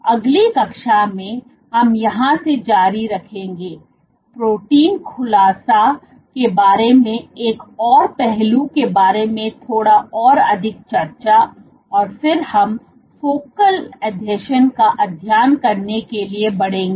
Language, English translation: Hindi, In the next class will continue from here, discuss little bit more about one more aspect about protein unfolding, and then we will go on to study focal adhesions